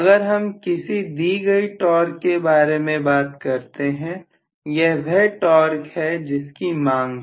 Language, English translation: Hindi, So if I am talking about a given torque, this is the torque value demand, demanded, Right